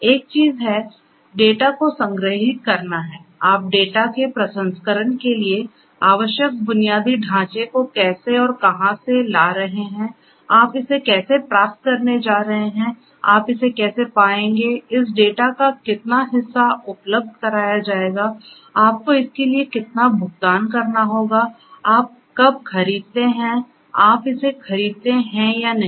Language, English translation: Hindi, One thing is storing the data, how do how and where you are going to get the infrastructure that is necessary for the processing of the data, how you are going to get it, how you are going to get access to it, how much of this data will be made available, how much you have to pay for it, when do you buy whether you at all you buy or not